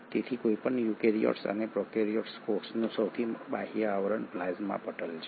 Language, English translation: Gujarati, So the outermost covering of any eukaryotic or prokaryotic cell is the plasma membrane